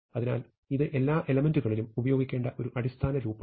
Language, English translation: Malayalam, So, this is a basic loop, and I do this for all elements